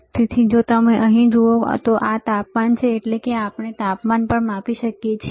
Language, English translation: Gujarati, So, if you see here, this is the temperature; that means, we can also measure temperature